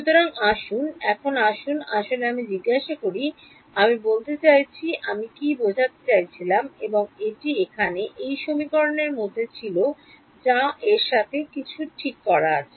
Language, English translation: Bengali, So, now let us let us actually ask I mean what I was hinting and that was at this equation over here that is something wrong with it ok